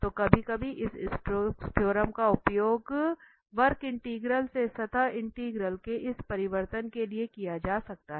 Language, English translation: Hindi, So, sometimes this Stokes theorem can be used for this transformation of the surface integral to curve integral